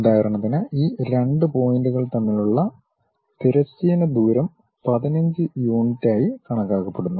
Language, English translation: Malayalam, For example, the horizontal distances between these 2 points supposed to be 15 units